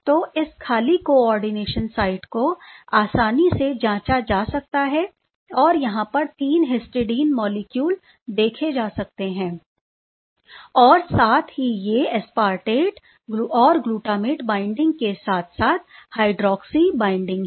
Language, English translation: Hindi, So, this vacant coordination site can be easily probed and these 3 histidine as you can see are definitely there on another one and these aspartate and glutamate binding as well as the hydroxy binding is there